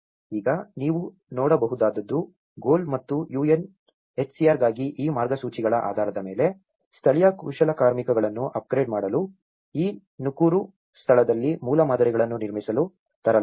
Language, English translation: Kannada, Now, what you can see is, based on these guidelines for GOAL and UNHCR brought local artisans to upgrade, to build a prototypes in this Nakuru place